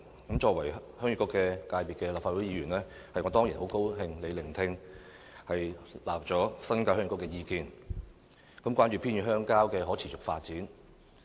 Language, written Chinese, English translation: Cantonese, 我作為立法會鄉議局界別的議員，當然很高興特首聆聽並接納鄉議局的意見，關注偏遠鄉郊的可持續發展。, As a Member representing the Heung Yee Kuk I am of course glad that the Chief Executive heeds the advice from the Heung Yee Kuk and pays attention to the sustainable development of rural and remote areas